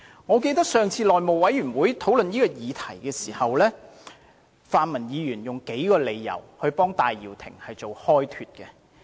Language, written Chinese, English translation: Cantonese, 我記得上次內務委員會討論此議題時，泛民議員用數個理由替戴耀廷開脫。, I remember that during our last discussion on this question in the House Committee the pan - democratic Members pleaded for Benny TAI with a few excuses